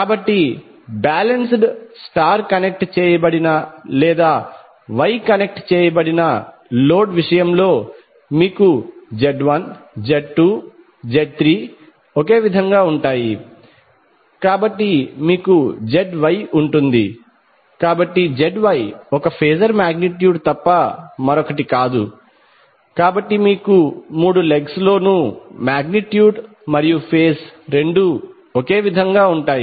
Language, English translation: Telugu, So in case of balanced star connected or wye connected load you will have Z1, Z2, Z3 all same so you will have ZY, so ZY is nothing but a phasor quantity so you will see the magnitude as well as phase both are same in all the three legs